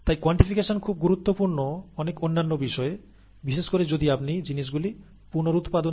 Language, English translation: Bengali, And therefore, quantification is very important in many different things, especially if you want to do things reproducibly